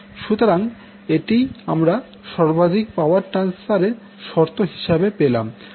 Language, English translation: Bengali, So, this is what you get under the maximum power transfer condition